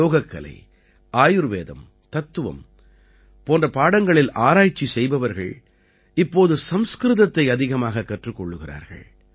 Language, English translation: Tamil, People doing research on subjects like Yoga, Ayurveda and philosophy are now learning Sanskrit more and more